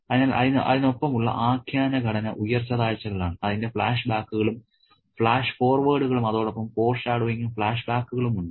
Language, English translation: Malayalam, So, the narrative structure with its ups and downs with its flashbacks and flash forwards with its foreshadowings and flashbacks